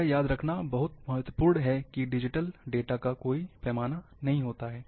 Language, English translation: Hindi, This is very important to remember, that, there is no scale of digital data